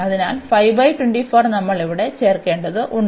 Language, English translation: Malayalam, So, what we are going to have